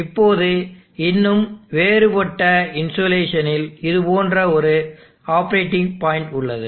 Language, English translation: Tamil, Now it is still further different insulation, I have an operating point like this